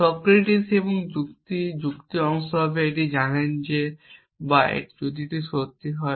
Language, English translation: Bengali, Socrates and the logic and the reasoning part says that if you know this or if this is true